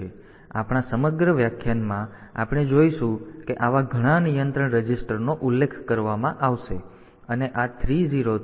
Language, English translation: Gujarati, So, throughout our lecture we will find that many such control registers will be mentioned and this 3 0 to 7 F